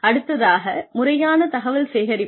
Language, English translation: Tamil, There is a systematic collection of information